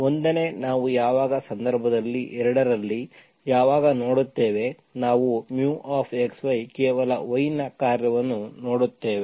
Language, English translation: Kannada, 1st we will see when, when in case 2, we will see mu xY is only function of y